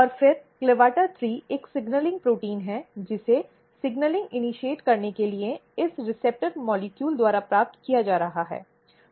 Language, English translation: Hindi, And then CLAVATA3 is a signaling protein, which is getting received by this receptors molecules to initiate the signaling